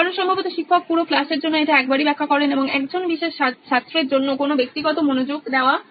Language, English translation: Bengali, Because probably the teacher would only explain it once for the entire class and no individual attention is given for one particular student